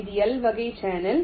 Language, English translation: Tamil, this is the l type channel